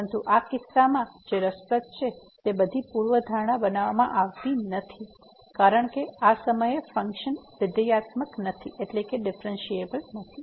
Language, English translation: Gujarati, But, what is interesting in this case the all the hypothesis are not made because the function is not differentiable at this point